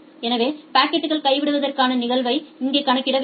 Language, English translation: Tamil, So, we have to calculate the packet dropping probability here